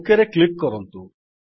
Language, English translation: Odia, Now click on the OK